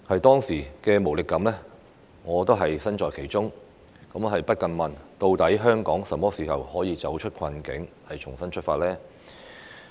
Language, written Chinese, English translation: Cantonese, 當時的無力感，我身在其中，亦不禁要問，究竟香港甚麼時候可以走出困境，重新出發呢？, Sharing the feeling of helplessness at that time I could not help but ask when Hong Kong could get out of the predicament and make a fresh start